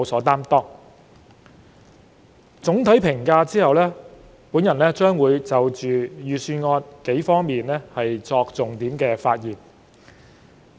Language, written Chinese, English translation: Cantonese, 在作出總體評價後，我會就預算案的數個重點發言。, After making this general comment I am going to speak on a few key points of the Budget